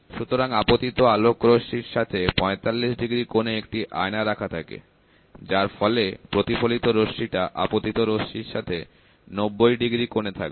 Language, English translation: Bengali, So, a mirror is kept at an angle of 45 degrees with respect to the incident ray of light so, that the reflected ray will be at an angle of 90 degrees with respect to the incident ray